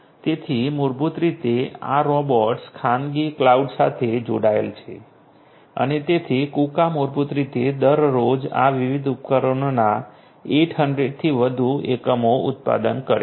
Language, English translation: Gujarati, So, basically these robots are connected with a private cloud and so, Kuka basically produces more than 800 units of these different devices per day